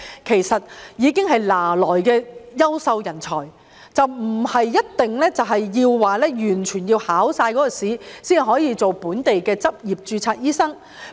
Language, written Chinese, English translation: Cantonese, 其實，他們已經是現有的優秀人才，不應要求他們完成所有考試，才可以成為本地執業註冊醫生。, In fact they are already top - notch talents and should not be required to pass all the examinations before they can become registered doctors to practise locally